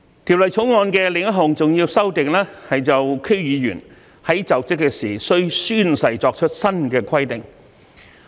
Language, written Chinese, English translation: Cantonese, 《條例草案》的另一項重要修訂，是就區議員在就職時須宣誓作出新規定。, Another important amendment in the Bill is to provide for the new requirement for members of the District Councils DC to take an oath when assuming office